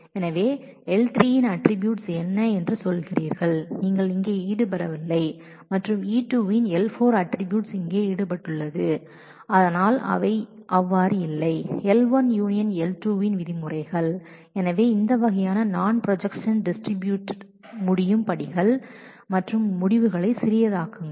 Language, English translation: Tamil, So, what you are saying that the attributes L3 of you are not involved here and attributes L4 of E2 are involved here, but they are not so, in terms of L1 union L2 so, then this kind of I should be able to distribute the projection in steps and make the results smaller